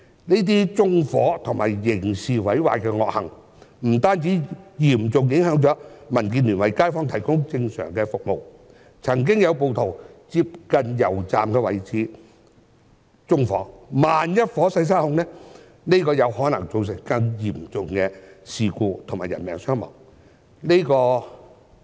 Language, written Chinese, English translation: Cantonese, 這些縱火和刑事毀壞的惡行，不單嚴重影響了民建聯為街坊提供正常的服務，更曾經有暴徒在接近油站的位置縱火，萬一火勢失控，便有可能造成更嚴重的事故及人命傷亡。, Such evil acts of arson and criminal damage have seriously affected the normal services provided by DAB to the public in local communities and worse still some rioters have once set fire at a location in close proximity to a petrol station resulting in the risk of serious consequence and casualties should the fire get out of control